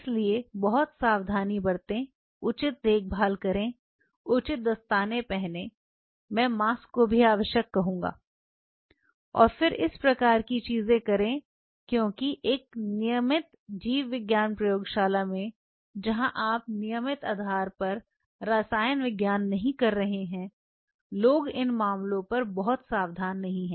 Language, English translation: Hindi, So, be very careful take proper care, proper gloves, I would necessary mask, and then do these kinds of things because in a regular biology lab where you are not doing chemistry on regular basis people are little you know not very careful on these matters